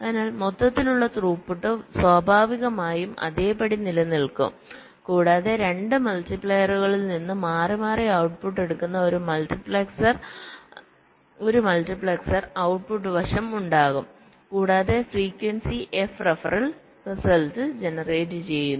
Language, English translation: Malayalam, so overall throughput naturally remains the same and there will be a multiplexor, the output side, that will be taking the output alternately from the two multipliers and will be generating the results at frequency f ref